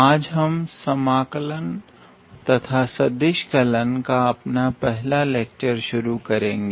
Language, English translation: Hindi, Today, we are going to begin our very first lecture on this Integral and Vector Calculus